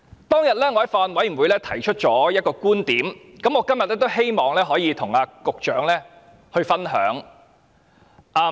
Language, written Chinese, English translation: Cantonese, 當天我在法案委員會提出了一個觀點，今天我也希望能與局長分享。, At a meeting of the Bills Committee some time ago I raised a point which I would like to share with the Secretary today